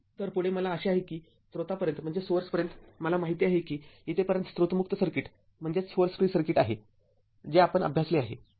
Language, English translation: Marathi, So, next is I hope up to source I know this is up to this is source free circuit whatever we have studied